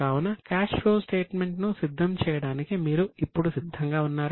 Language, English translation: Telugu, So, are you ready now to prepare the cash flow statement